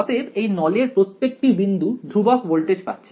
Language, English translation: Bengali, So, every point on this cylinder has constant voltage